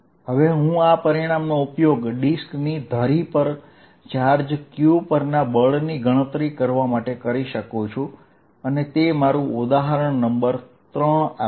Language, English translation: Gujarati, I can now use this result to calculate force on charge q on the axis of a disc and that is going to give my example number 3